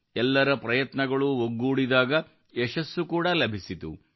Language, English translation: Kannada, When everyone's efforts converged, success was also achieved